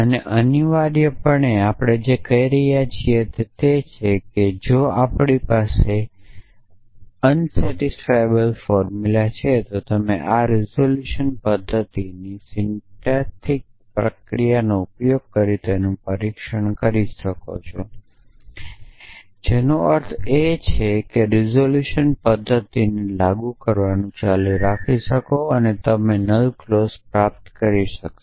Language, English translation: Gujarati, And essentially what we are saying is that if we have unsatisfiable formulas then you can test it using syntactic procedure of this resolution method which means keep applying the resolution method and you will be able to derive null clause